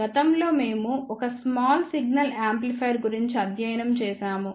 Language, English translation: Telugu, Previously we have studied about a small signal amplifier